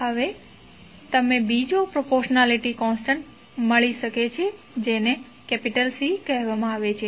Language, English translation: Gujarati, Now, you can introduce another proportionality constant that is called C ok